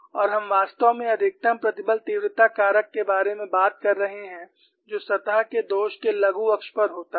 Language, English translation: Hindi, So, you can find out the stress intensity factor that is the maximum value for the surface flaw